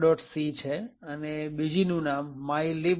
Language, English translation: Gujarati, c and the other one is known as mylib